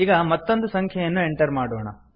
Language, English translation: Kannada, Let us enter another number